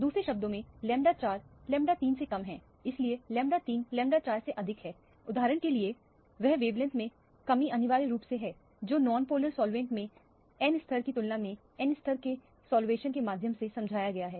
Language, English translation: Hindi, In other words the lambda 4 is less than lambda 3, so lambda 3 is more than lambda 4 for example so they decrease in the wavelength is essentially what is explained by means of the solvation of the n level in comparison to the n level in the non polar solvent for example